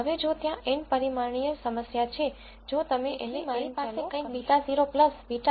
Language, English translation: Gujarati, Now if there is a n dimensional problem, if you have let us say n variables